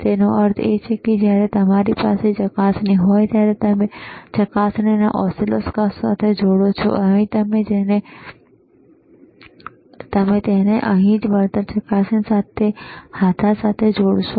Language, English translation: Gujarati, tThat means, when you have the probe, you connect the probe to the oscilloscope, you will connect it to the probe compensation knob it is right here